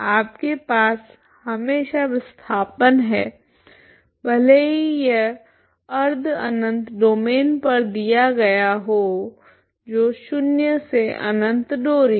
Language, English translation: Hindi, You have the displacement for all times even if it is given on semi infinite domain that is zero to infinite string